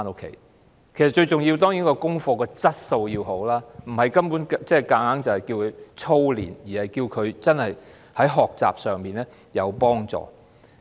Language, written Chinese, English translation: Cantonese, 功課最重要的當然是要有好的質素，而非要小朋友操練，應對其學習有幫助。, Most importantly homework should certainly be of high quality which is conducive to learning rather than focusing on drilling students